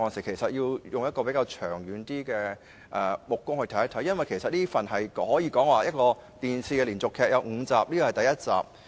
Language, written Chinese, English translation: Cantonese, 同事應以較長遠的眼光來閱讀預算案，因為這可以說是一齣電視連續劇，共有5集，這是第一集。, Honourable colleagues should read the Budget from a long - term perspective because it can be regarded as a television drama series with five episodes in total and this is the first one